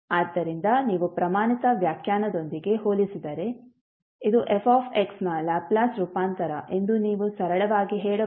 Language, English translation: Kannada, So if you compare with the standard definition you can simply say that this is the Laplace transform of fx